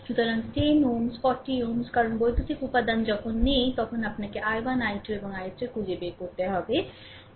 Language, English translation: Bengali, So, 10 ohm 40 ohm because nothing when electrical element is there you have to find out i 1, i 2 and i 3, right